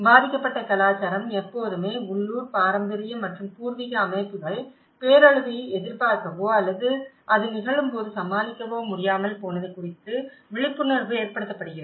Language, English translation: Tamil, And a victim culture is always being made aware of the failure of the local, traditional and indigenous systems to either anticipate the disaster or be able to cope up when it happens